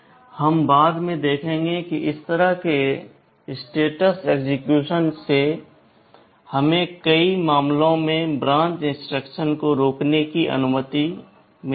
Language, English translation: Hindi, We shall see later that using this kind of condition execution allows us to prevent branch instructions in many cases